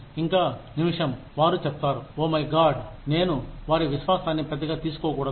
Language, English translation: Telugu, And the minute, they say it, you say, oh my God, I should not take their faith for granted